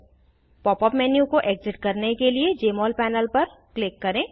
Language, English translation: Hindi, Click on the Jmol panel to exit the Pop up menu